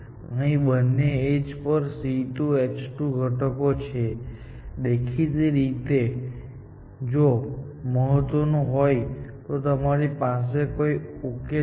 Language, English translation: Gujarati, Here, the two edges have the C2 H5 components; obviously, that matters